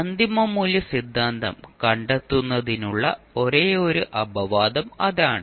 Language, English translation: Malayalam, So that is the only exception in finding out the final value theorem